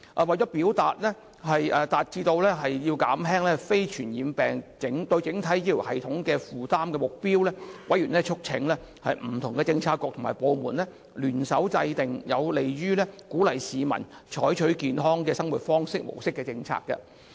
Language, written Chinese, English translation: Cantonese, 為達致減輕非傳染病對整體醫療系統的負擔的目標，委員促請不同的政策局和部門聯手制訂有利於鼓勵市民採取健康的生活模式的政策。, With a view to achieving the target of alleviating the burden of non - communicable diseases on the overall health care system members urged various Policy Bureaux and departments to join hands to formulate a policy favourable to encouraging people to adopt a healthy lifestyle